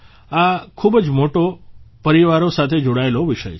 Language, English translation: Gujarati, This is a topic related to very big families